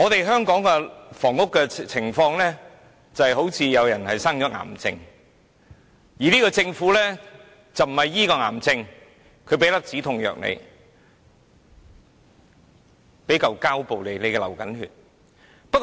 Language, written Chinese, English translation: Cantonese, 香港的房屋情況，就如有人患癌，但政府不是醫治癌症，而只是給予一粒止痛藥，又如有人流血，只給予一塊膠布。, Hong Kongs housing situation is like someone suffering from cancer and yet the Government does not treat the cancer but merely prescribes a painkiller; or it merely gives a Band - Aid to a person who is bleeding